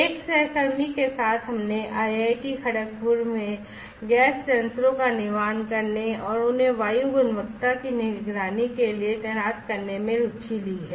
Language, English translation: Hindi, Along with a colleague we have taken interest in IIT Kharagpur to built gas sensors and deploy them for monitoring the air quality